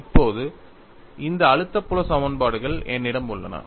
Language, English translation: Tamil, Now, I have this stress field equation available